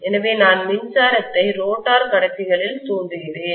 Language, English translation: Tamil, So I am inducing electricity in the rotor conductors